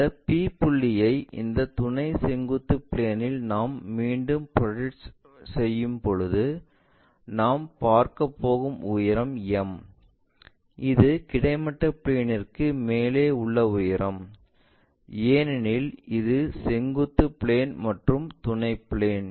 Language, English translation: Tamil, When we are projecting this P point all the way onto this auxiliary vertical plane again the height what we are going to see is m, this is the height above the horizontal plane because it is a vertical plane and auxiliary one